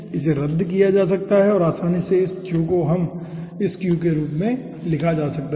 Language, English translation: Hindi, okay, this can be cancelled out and easily this q can be written as aah, aah